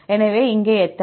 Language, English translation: Tamil, So, how many As here